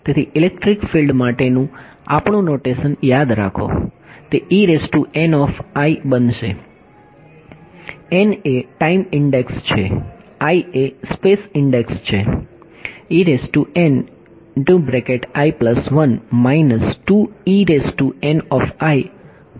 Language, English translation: Gujarati, So, remember our notation for electric field, it is going to be E n i; n is the time index, i is the space index ok